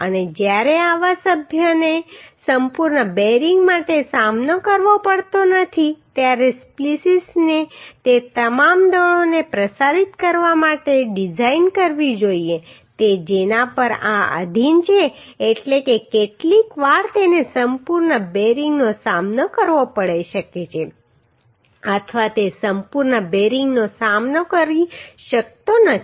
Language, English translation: Gujarati, And when such members are not faced for complete bearing splices should be designed to transmit all forces to which these are subjected means sometimes it may be faced complete bearing or it may not be faced complete bearing